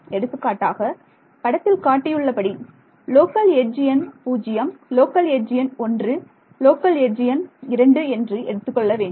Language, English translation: Tamil, So, for example, these can be I will call this local edge number 0, local edge number 1, local edge number 2 ok